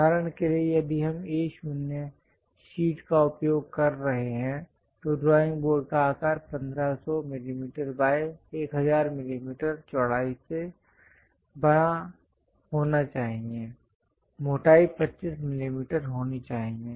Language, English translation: Hindi, For example, if we are using A0 sheet, then the drawing board size supposed to be larger than that 1500 mm by 1000 mm width, thickness supposed to be 25 millimeters